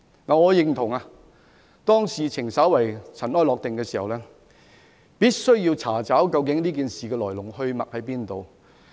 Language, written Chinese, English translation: Cantonese, 我認同當事件稍為塵埃落定時，必須查找事件的來龍去脈。, I agree that when things have somehow settled we must inquire into the causes and consequences of all incidents